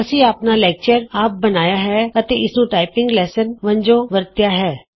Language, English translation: Punjabi, We have created our own lecture and used it as a typing lesson